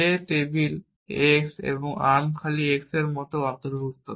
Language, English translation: Bengali, That includes things like on table x and arm empty x